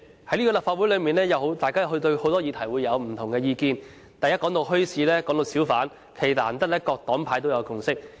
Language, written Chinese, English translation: Cantonese, 主席，在立法會內，議員對很多議題持不同意見，但談到墟市和小販，難得各黨派有共識。, President Members of the Legislative Council seldom see eye to eye on many issues but in respect of bazaars and hawkers it is rare that Members have reached a consensus